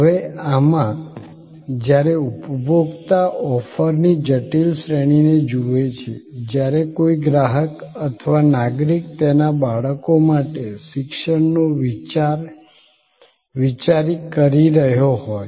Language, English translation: Gujarati, Now, in this, when consumers look at a complex range of offering, when a customer is or a citizen is thinking about, say education for his or her children